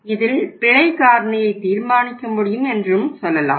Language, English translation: Tamil, So we can say that let us determine the error factor